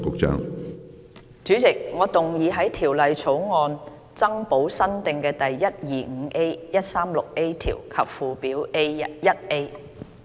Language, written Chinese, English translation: Cantonese, 主席，我動議在條例草案增補新訂的第 125A、136A 條及附表 1A。, Chairman I move that the new clauses 125A 136A and new Schedule 1A be added to the Bill